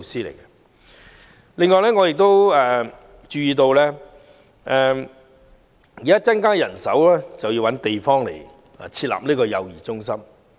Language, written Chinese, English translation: Cantonese, 此外，我亦注意到除增加人手比例外，亦有需要物色設立幼兒中心的地方。, Furthermore apart from increasing the manning ratios I am also aware of the need to identify locations for setting up child care centres